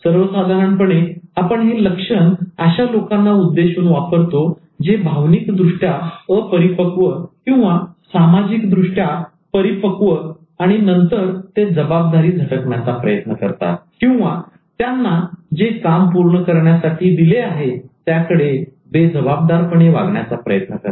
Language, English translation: Marathi, So we generally use this syndrome to indicate those people who are emotionally immature or socially matured and then they try to shirk responsibility or they try to feel irresponsible towards some of the roles they are supposed to fulfill